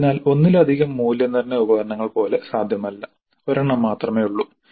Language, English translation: Malayalam, So there is nothing like multiple assessment, there is only one